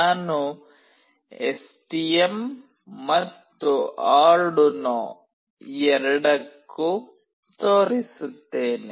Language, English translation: Kannada, And I will be showing for both STM and Arduino